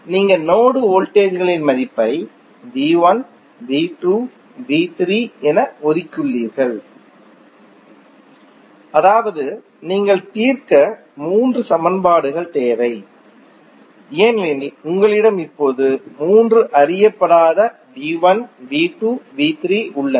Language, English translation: Tamil, You have assign the value of node voltages as V 1, V 2 and V 3 that means you need three equations to solve because you have now three unknowns V 1, V 2 and V 3